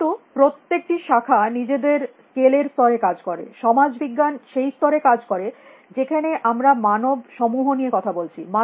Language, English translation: Bengali, But each discipline operates in its own level of scale; social science is operated some level where we are talking about collections of human beings